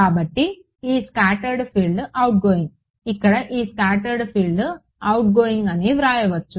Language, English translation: Telugu, So, here this scattered field is outgoing here this scattered field is outgoing